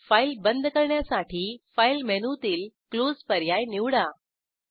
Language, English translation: Marathi, Go to File menu, select Close to close the file